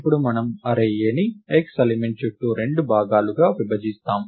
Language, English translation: Telugu, Now what we do is to the partition the array A into 2 parts around the element x